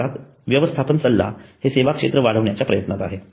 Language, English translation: Marathi, In India, management consulting is a growing field of endeavor